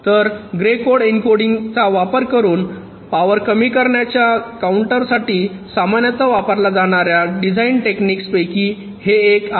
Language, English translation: Marathi, so this is one of the very commonly used designed technique for a counter to reduce power by using grey code encoding